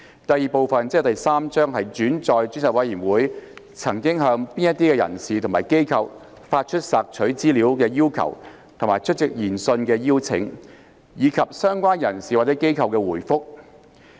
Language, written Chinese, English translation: Cantonese, 第 II 部分載述專責委員會曾向哪些人士或機構發出索取資料的要求和出席研訊的邀請；以及相關人士或機構的回覆。, Part II Chapter 3 documents the persons or bodies to whom the Select Committee has sent requests for information and invitation to attend hearings and the replies of the persons or bodies concerned